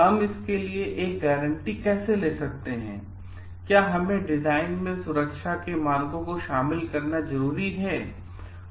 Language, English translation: Hindi, How do we make a guarantee for it or should we incorporate as much as safety as possible in the design